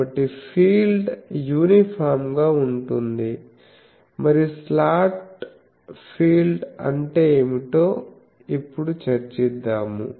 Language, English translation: Telugu, So, we can say that the field that will be uniform and so that will now discuss that what is the slot field